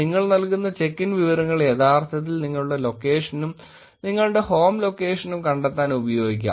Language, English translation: Malayalam, This information that is you check in can actually be used to find out your location, your home location also